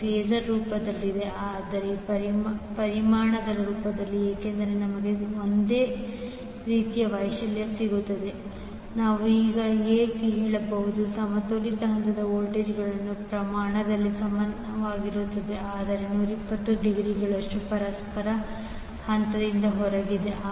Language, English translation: Kannada, So, that is in phasor form, but in magnitude form, since, we have same amplitude will get Van equal to the model of Van equal to mod of Vbn equal to mod of Vcn so, what we can say now, the balanced phase voltages are equal in magnitude, but are out of phase with each other by 120 degree